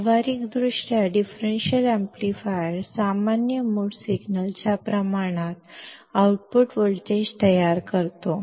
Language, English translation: Marathi, Practically, the differential amplifier produces the output voltage proportional to common mode signal